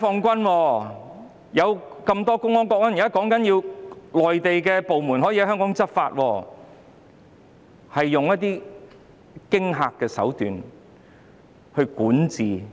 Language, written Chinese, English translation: Cantonese, 根據目前的建議，內地部門可以在香港執法，這等同用驚嚇手段治港。, As currently suggested the Mainland authorities can enforce laws in Hong Kong which is tantamount to governing Hong Kong by threatening means